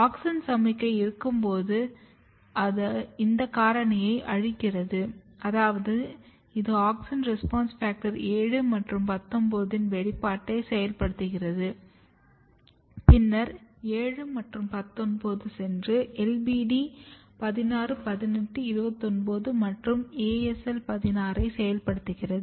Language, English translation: Tamil, So, when there is auxin signalling auxin signalling is degrading this factor which means that it is activating expression of auxin response factor 7 and 19 and then 7 and 19 is going and activating LBD 16 18 29 and 16